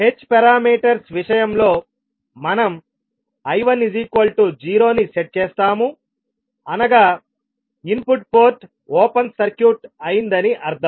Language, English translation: Telugu, In case of h parameters we set I1 equal to 0 that is input port open circuited